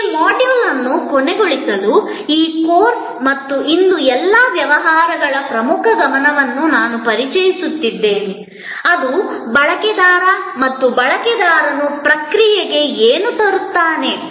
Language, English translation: Kannada, To end this module, I will introduce the key focus of this course and of all businesses today, which is the user and what the user brings to the process